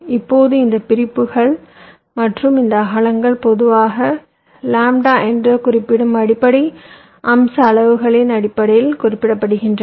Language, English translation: Tamil, now, these separations and these width, these are typically specified in terms of the basic feature size we refer to as lambda